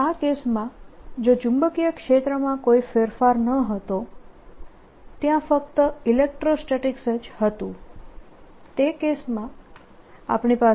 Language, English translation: Gujarati, this case is there was no change in the magnetic field, only electrostatics was there